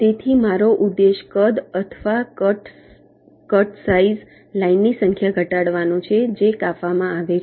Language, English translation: Gujarati, so my objective is to minimize the size or the cuts, the cut size number of lines which are cutting